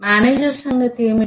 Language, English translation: Telugu, what about manager